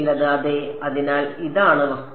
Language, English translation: Malayalam, Some yeah; so, this is the object